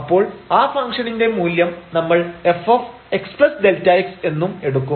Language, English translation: Malayalam, So, it is the value of this function at this point f x plus delta x